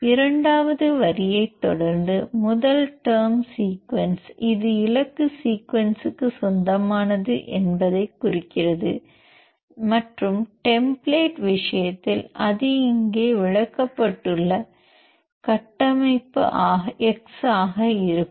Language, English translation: Tamil, And followed by the second line the first term sequence are denotes this is belongs to the target sequence and in case of the template, it will be structure x that is explained here